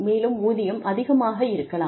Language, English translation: Tamil, And, the salaries may be too much